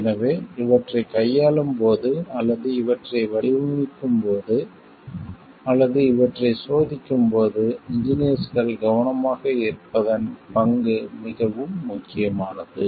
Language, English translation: Tamil, So, it becomes more important about the role of the engineers in like being careful, in this while handling these things, or designing for these things, or testing for these things